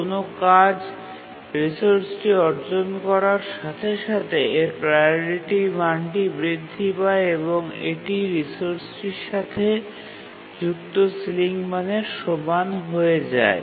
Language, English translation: Bengali, That as soon as a task acquires the resource, its priority, becomes equal to the ceiling value associated with the resource